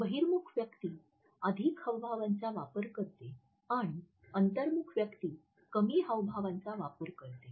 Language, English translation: Marathi, And extrovert person uses more illustrators and then an introvert person uses less illustrators